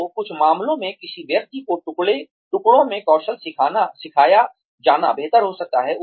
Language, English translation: Hindi, So, in some cases, it may be better for a person, to be taught, the skill in pieces